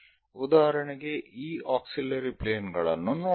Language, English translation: Kannada, For example, let us look at this auxiliary planes